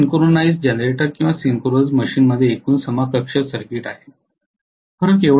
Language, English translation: Marathi, This is the overall equivalent circuit of the synchronous generator or synchronous machine in general